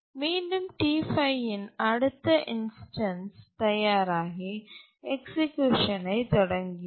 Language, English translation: Tamil, And again the next instance of T5 becomes ready, starts executing, and so on